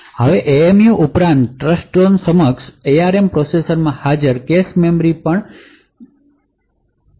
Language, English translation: Gujarati, Now in addition to the MMU the cache memory present in Trustzone enabled ARM processors is also modified